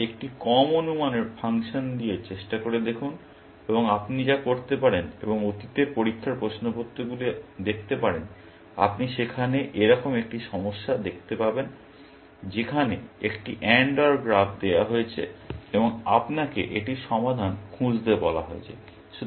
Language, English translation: Bengali, Then, try out with an under estimating function, and all you could go up and look up the past test papers, you will see one such, one of such problems there, where an AND OR graph is given, and you have been asked to find it solution